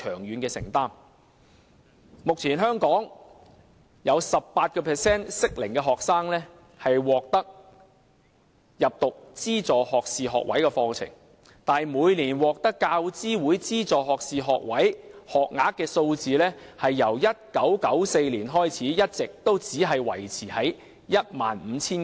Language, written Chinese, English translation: Cantonese, 香港目前有 18% 的適齡學生入讀資助學士學位課程，但由1994年開始，每年獲得大學教育資助委員會資助的學士課程學額一直只維持在大約 15,000 個。, At present 18 % of the students of the appropriate age group are enrolled in funded undergraduate programmes in Hong Kong . However the number of undergraduate places funded by the University Grants Committee each year has been maintained at around 15 000 only since 1994